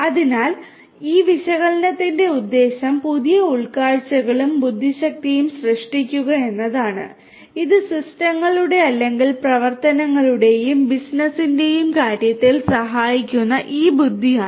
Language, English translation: Malayalam, So, the purpose of this analytics is to generate new insights and intelligence, and this is this intelligence which helps in terms of the systems or the operations and business